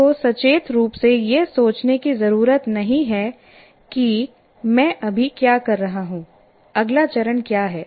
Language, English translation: Hindi, You don't have to consciously think of what exactly do I do now, what is the next step